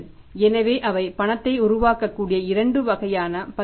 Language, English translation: Tamil, So, there are the two kind of instruments from where the cash can be generated